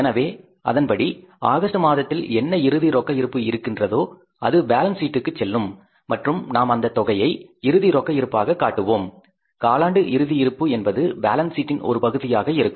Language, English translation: Tamil, So accordingly what is the closing balance of the month of August that will go in the balance sheet and that amount we have to show as a closing cash balance quarterly closing cash balance that will be the part of the balance sheet